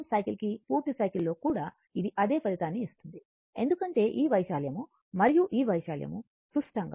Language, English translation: Telugu, Even in full cycle also, it will give the same result because this area and this it is a symmetrical